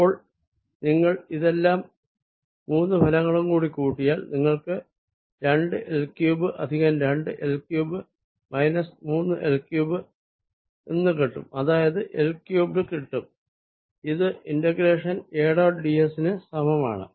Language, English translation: Malayalam, so if you add all three contributions together, you get two l cubed plus two l cubed minus three l cubed, which is l cubed, which is equal to integration, a dot d s